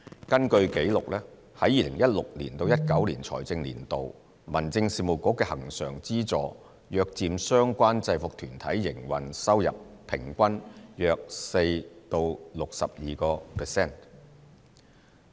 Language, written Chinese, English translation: Cantonese, 根據紀錄，在2016年至2019年的財政年度，民政事務局的恆常資助約佔相關制服團體營運收入平均約 4% 至 62%。, According to records the Home Affairs Bureaus recurrent subvention accounted for about 4 % to 62 % of the operating income of the respective UGs in the financial years from 2016 to 2019